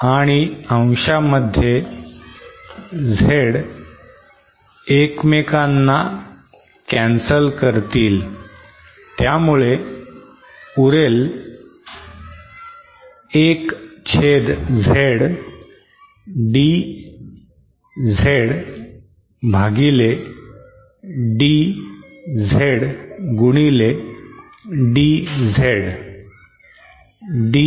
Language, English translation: Marathi, And then in the numerator this Z cancels this Z so this then becomes equal to 1 upon Z, D capital Z upon small Z and this whole multiplied by the small Z